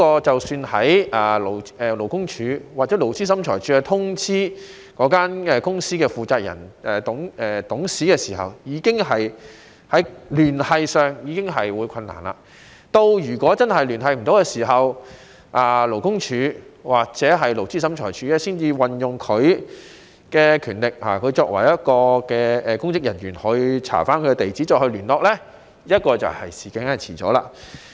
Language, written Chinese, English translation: Cantonese, 即使在勞工處或勞資審裁處通知那間公司的負責人或董事時，在聯繫上已有困難，如果真的聯繫不上，勞工處或勞資審裁處才會運用他們作為公職人員的權力查找其地址再行聯絡，但這樣已經遲了。, Even when the Labour Department LD or the Labour Tribunal LT notifies the responsible person or director of the company they may already have difficulties in contacting them . If the person concerned cannot be contacted LD or LT will then use their powers as public officers to access their addresses and contact them again but the process will be delayed